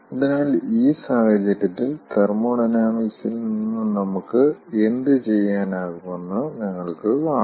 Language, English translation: Malayalam, so you, in this case you, see what we can do from the thermodynamics